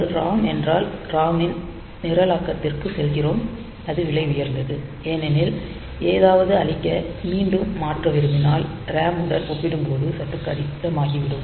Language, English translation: Tamil, So, if it is ROM then we have to go for programming of that ROM and that is costly because again if we want to change something erasing will also become bit difficult compared to RAM